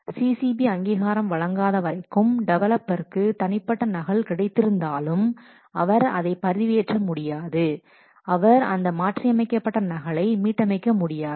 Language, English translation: Tamil, So, unless the CCB authorizes, unless the CCB approves the changes, even if the software developer has got the private copy, but he cannot upload it, he cannot restore this modified copy